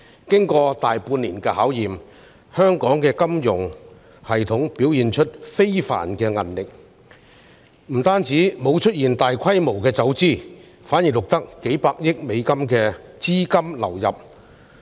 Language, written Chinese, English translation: Cantonese, 經過大半年的考驗，香港的金融系統表現出非凡的韌力，非但沒有出現大規模走資，反而錄得數百億美元的資金流入。, Having stood the test of time for more than half a year of testing Hong Kongs financial system has shown remarkable resilience with a capital inflow of tens of billions of US dollars recorded instead of massive capital flight